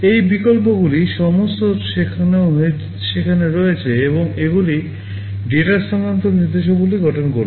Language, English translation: Bengali, These options are all there, and these will constitute data transfer instructions